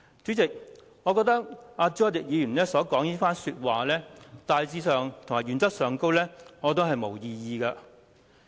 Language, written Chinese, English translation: Cantonese, 主席，對朱凱廸議員的論點，大致上及原則上我並無異議。, President generally and also in principle I have no objection to Mr CHU Hoi - dicks arguments